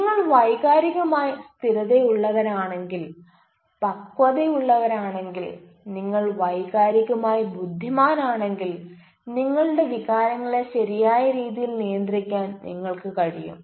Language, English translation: Malayalam, if you are emotionally stable, emotionally matured and if you are emotionally intelligent, you will be able to regulate your emotions in a right way